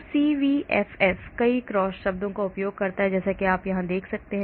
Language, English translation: Hindi, So CVFF uses many cross terms as you can see here